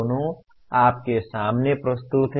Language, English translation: Hindi, Both are presented to you earlier